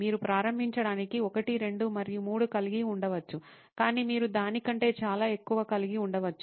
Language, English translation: Telugu, You can have 1, 2 and 3 to begin with but you can have many more than that